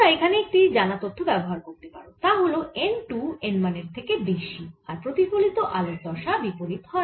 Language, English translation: Bengali, you can see a well known fact that is always told you, that if n two is larger than n one, then the reflected light has a opposite phase